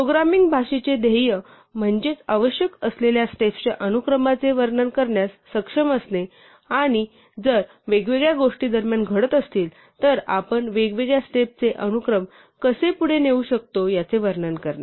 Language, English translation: Marathi, So, the goal of programming language is to be able to describe the sequence of steps that are required and to also describe how we might pursue different sequences of steps if different things happen in between